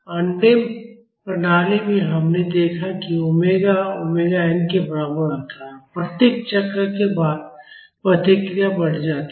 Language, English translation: Hindi, In undamped system, we have seen that at omega is equal to omega n the response increases after each cycle